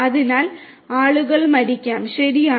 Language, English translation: Malayalam, So, you know people might die, right